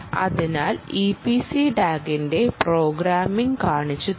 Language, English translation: Malayalam, so let us show you the programming of the e p c tag